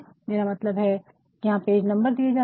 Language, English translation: Hindi, I mean page numbers are given there